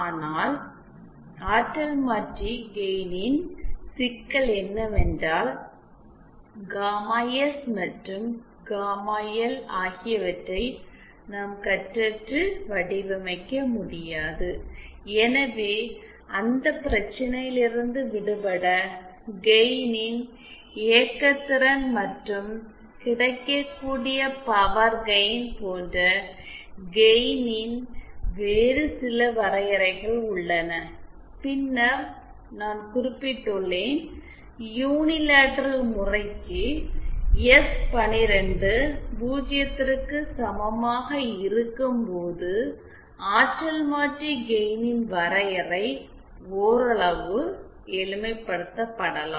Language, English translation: Tamil, But then problem with transducer gain is that we cannot design gamma S and gamma L independently, hence to get rid of that problem we have some other definitions of gain like operating power of gain and available power gain, and then I had also mentioned for the unilateral case that is when S 1 2 is equal to 0, the definition of the transducer gain can be somewhat simplify